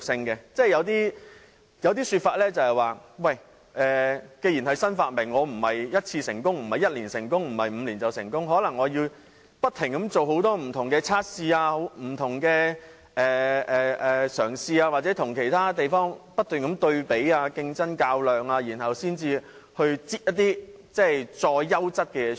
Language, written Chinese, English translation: Cantonese, 有些說法是，既然是新發明，不是嘗試1次或在1年或5年內便可成功，而是可能須不停做很多不同的測試、嘗試或與其他地方不斷對比，競爭和較量，然後再推出更優質的事物。, One view is that since new inventions are involved success cannot be achieved with a single attempt or within one or five years; rather it may be necessary to conduct various tests make various attempts or compare compete and contest with other places continuously then launch something of even better quality